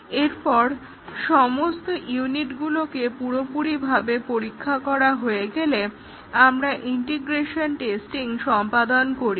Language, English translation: Bengali, And once a unit, all the units have been fully tested, we do the integration testing